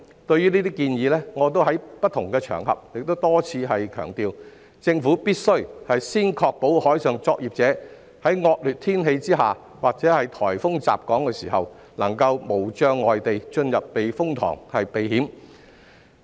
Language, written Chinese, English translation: Cantonese, 對於這些建議，我已在不同場合多次強調，政府必須先確保海上作業者在惡劣天氣下或颱風襲港時能在無障礙下進入避風塘避險。, Regarding these proposals I have repeatedly emphasized on various occasions that the Government must first ensure that marine workers can enter the typhoon shelter without any obstacles to protect themselves from danger under inclement weather conditions or when a typhoon hits Hong Kong